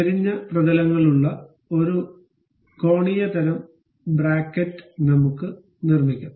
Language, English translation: Malayalam, I will construct a L angular kind of bracket with inclined surfaces